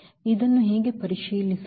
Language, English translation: Kannada, How to check this